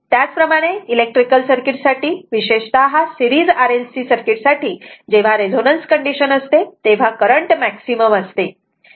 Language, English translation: Marathi, Similarly, for electrical circuit particular series RLC circuit when it is a resonance condition the current is maximum right, we will come to that